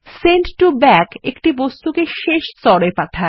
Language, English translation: Bengali, Send to Back sends an object to the last layer